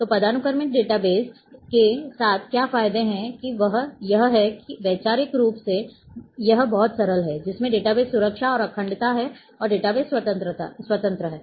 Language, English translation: Hindi, So, what are the advantages with hierarchical data base that it is conceptually it is very simple, database security and integrity is there and data independence